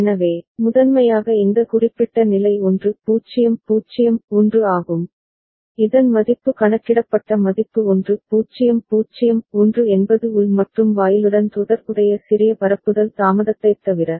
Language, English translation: Tamil, So, primarily this particular state is 1 0 0 1 having the value counted value 1 0 0 1 except for that small propagation delay associated with the internal AND gate ok